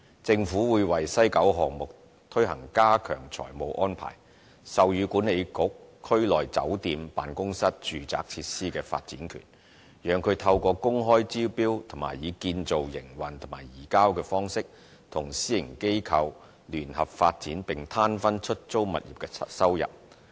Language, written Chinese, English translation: Cantonese, 政府會為西九項目推行加強財務安排，授予西九文化區管理局區內酒店/辦公室/住宅設施的發展權，讓它透過公開招標及以"建造、營運及移交"方式，與私營機構聯合發展並攤分出租物業的收入。, The Government will implement an enhanced financial arrangement for the WKCD project under which the development right of the hotelofficeresidential portion of WKCD will be granted to the WKCD Authority for joint development and sharing of rental revenue from such facilities with the private sector through open tender and Build - Operate - Transfer arrangement